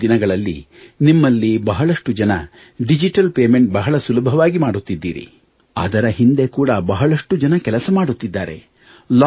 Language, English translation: Kannada, During this time, many of you are able to make digital payments with ease, many people are working hard to facilitate that